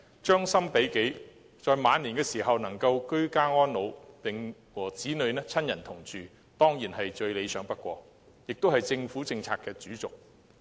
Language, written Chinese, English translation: Cantonese, 將心比己，在晚年能夠居家安老，與子女親人同住，當然最理想不過，這亦是政府政策的主軸。, If I were an elderly person ageing at home among our children and family is an ideal option . This also is a major theme of the Governments policy